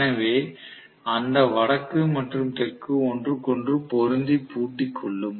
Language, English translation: Tamil, So that north and south match with each other and lock up with each other